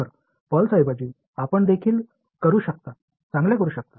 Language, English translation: Marathi, So, instead of a pulse you can also do better you can do